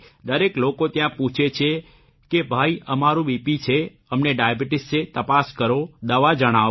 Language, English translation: Gujarati, Everyone there asks that brother, we have BP, we have sugar, test, check, tell us about the medicine